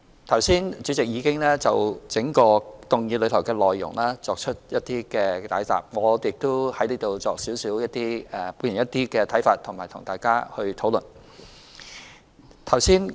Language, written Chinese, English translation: Cantonese, 剛才主席已經就整項議案的內容作出解答，我亦在此表達一些看法，以及與大家討論。, The President just now gave an explanation on the overall content of the motion . I will also take this opportunity to express some views and have a discussion with Members